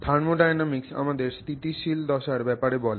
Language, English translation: Bengali, The thermodynamics tells us what is the stable phase